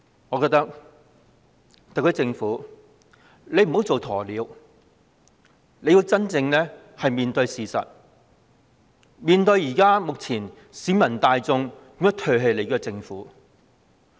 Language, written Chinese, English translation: Cantonese, 我認為特區政府不應做鴕鳥，要真正面對事實，了解當前為何市民大眾會唾棄政府。, I think the SAR Government should not act like an ostrich and I think it should face the reality and understand why the general public would cast it aside